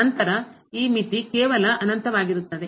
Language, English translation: Kannada, Then, this limit will be just infinity